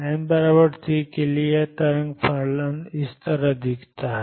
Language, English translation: Hindi, For n equals 3 this wave function looks like this